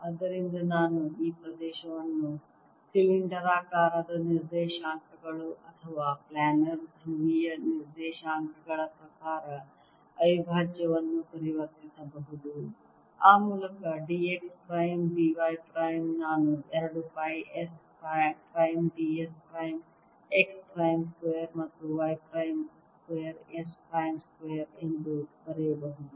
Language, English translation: Kannada, if i realize that this actually is an area integral, alright, so i can convert this area integral into in terms of the ah cylindrical coordinates or planar polar coordinates, whereby d x prime, d y prime i can write as: two pi s prime d s prime, x prime square plus y prime square is s prime square